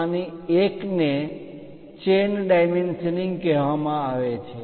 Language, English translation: Gujarati, One of them is called chain dimensioning